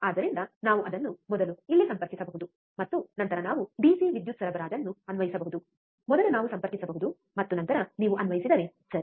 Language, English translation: Kannada, So, we can first connect it here, and then we can apply the DC power supply, first we can connect and then if you apply, alright